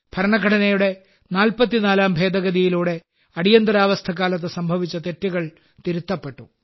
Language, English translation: Malayalam, Whereas, through the 44th Amendment, the wrongs committed during the Emergency had been duly rectified